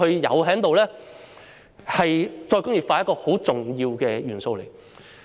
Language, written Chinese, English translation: Cantonese, 這是再工業化一個十分重要的元素。, This is a very crucial element of re - industrialization